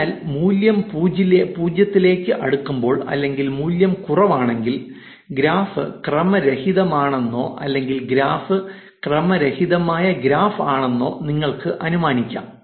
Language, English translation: Malayalam, So, the more the value that is closer to 0, or the less the value is, it is actually assumed that the graph is a random or you can infer the graph is a random graph